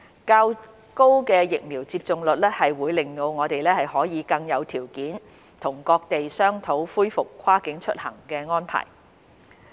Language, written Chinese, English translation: Cantonese, 較高的疫苗接種率，會令我們可以更有條件與各地商討恢復跨境出行的安排。, A higher vaccination rate will give us better leverage to negotiate with other places the arrangements for resumption of cross - boundary travel